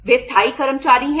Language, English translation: Hindi, They are permanent employees